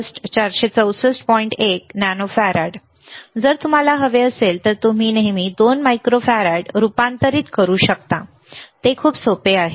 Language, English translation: Marathi, 1 nano farad, you can always convert 2 microfarad if you want it is very easy